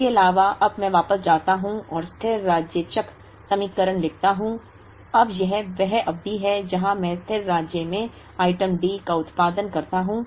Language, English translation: Hindi, Plus now I go back and write the steady state cycle equations, now this is the period where I produce item D at steady state